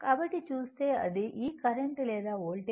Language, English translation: Telugu, So, if you look into that, that that this current or voltage